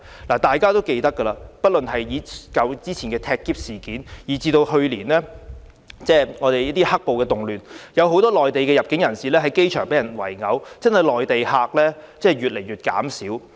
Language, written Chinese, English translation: Cantonese, 大家都記得之前發生的"踢篋"事件，以及去年的"黑暴"動亂時，很多由內地入境香港的人士在機場被人圍毆，這些事件都令內地客越來越少。, As all of us can remember previously there were suitcase - kicking incidents and during the riot caused by black - clad rioters last year many inbound tourists from the Mainland were subjected to assaults from the crowd at the airport . These incidents have led to a constant drop in the number of Mainland tourists